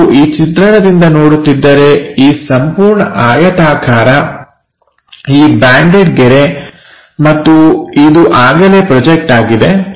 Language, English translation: Kannada, So, if we are looking from this view, this entire rectangle, this banded line, and this one already projected